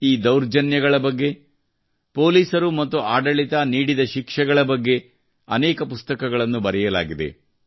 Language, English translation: Kannada, Many books have been written on these atrocities; the punishment meted out by the police and administration